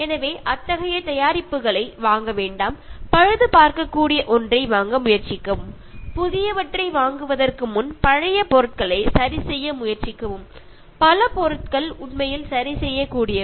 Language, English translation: Tamil, So, don’t buy such products try to buy something which are repairable and try to fix things before buying new ones and many things are actually repairable